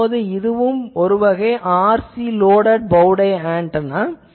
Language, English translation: Tamil, Now, there is also one RC loaded bow tie antenna